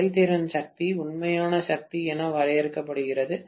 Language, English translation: Tamil, The efficiency is defined as in terms of power, real power